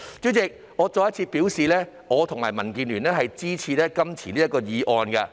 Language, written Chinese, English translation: Cantonese, 主席，我再次表示，我和民建聯支持這項議案。, President I reiterate that DAB and I support this motion